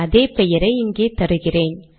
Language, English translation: Tamil, I am giving the same name over here